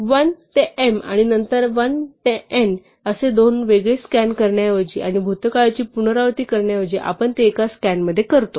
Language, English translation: Marathi, Instead of doing two separate scans over 1 to m and then 1 to n and repeating the past we do it in one scan